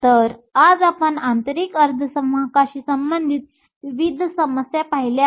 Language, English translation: Marathi, So, today we have looked at various problems related to intrinsic semiconductors